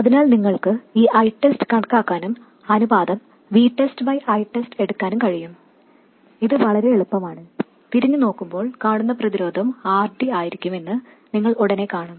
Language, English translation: Malayalam, So you can calculate this I test and take the ratio V test by I test but it is very easy, you will immediately see that the resistance looking back would be r d, r out equals r d